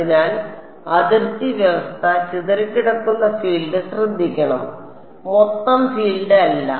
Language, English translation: Malayalam, So, the boundary condition should take care of scattered field not total field